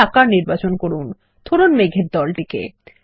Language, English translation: Bengali, Select a shape say a cloud group